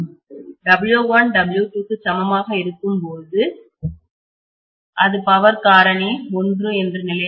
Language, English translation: Tamil, When W1 equal to W2 it will be unity power factor condition